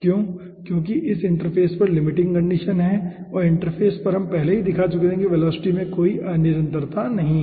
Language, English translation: Hindi, because aah, this is the limiting condition at the interface, and at the interface already we have shown that there is no discontinuity of the velocity